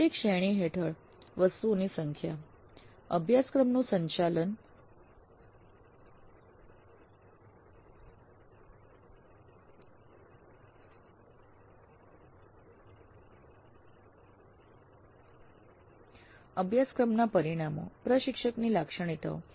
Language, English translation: Gujarati, Number of items under each category, course management, course outcomes, instructor characteristics like this